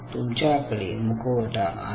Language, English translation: Marathi, so you have a mask